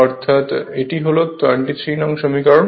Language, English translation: Bengali, So, this is equation 24